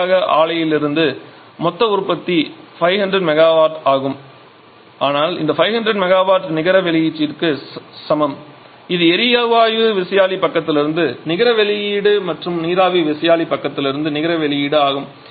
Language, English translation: Tamil, And finally the net output from the client is 500 megawatt, so that 500 megawatt is equal to the net output that is the net output from the gas turbine inside and it output from the steam turbine inside